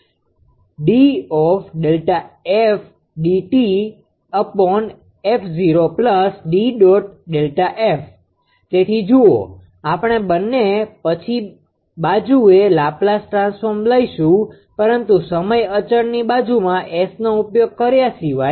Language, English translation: Gujarati, So, look we will take Laplace transform on both sides later, but except using S in that your time constant